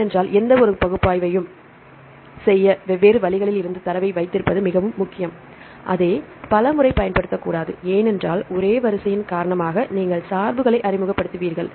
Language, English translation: Tamil, Because to do any analysis it is very important to have the data from different ways, not to use the same several times because you will introduce bias because of the same sequence right